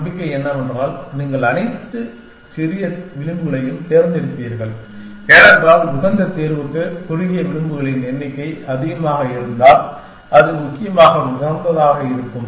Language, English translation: Tamil, The hope is that, you will pick all the small edges because, for the optimal solution the more the number of shorter edges, the more likely it is optimal essentially